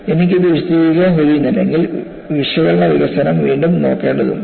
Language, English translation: Malayalam, If I am unable to explain it, then analytical development has to be relooked